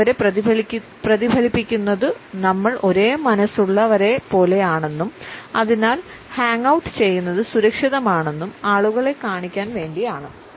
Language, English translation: Malayalam, We mirror people to show them that we are like minded and therefore, safe to hang out with